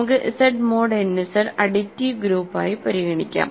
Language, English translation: Malayalam, Let us consider Z mod n Z be the additive group